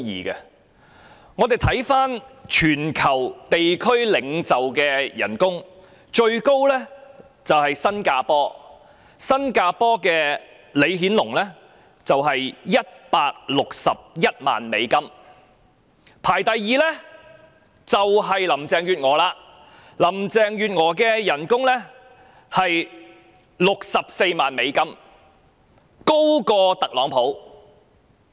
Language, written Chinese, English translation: Cantonese, 試看全球地區領袖的薪酬排名，最高的是新加坡的李顯龍，其薪酬是161萬美元。排名第二的正是林鄭月娥，她的薪酬高達64萬美元，較特朗普還要高。, We can see from the ranking of the highest paid world leaders that LEE Hsien Loong of Singapore ranks first with an annual salary of US1,610,000 and he is followed by Carrie LAM whose emoluments are even higher than those of Donald TRUMP and amount to US640,000